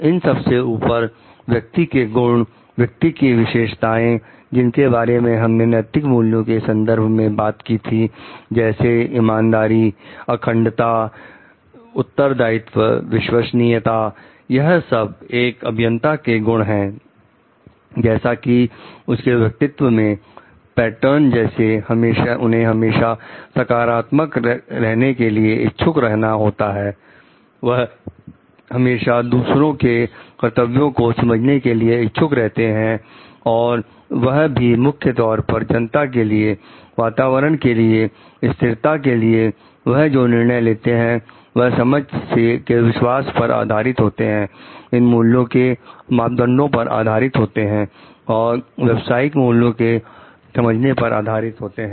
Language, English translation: Hindi, Above all, the virtue of the person, the characteristics of the person where we have discussed of the ethical values like honesty, integrity, trustworthiness, responsibility, reliability these are the characteristics of the engineers, the virtues of the engineers, which develop such an integrity in the character, such a personality pattern in them like they are always prone to think positively, they are prone to under understand the duty for others for the public at large for the environment at large think of sustainability and all the decisions that they are taking are based on their conviction of understanding, based on the yardstick of these values and the understanding of the professional ethics